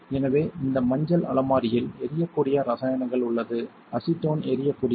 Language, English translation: Tamil, So, this yellow cabinet is meant to store flammable chemicals acetone is flammable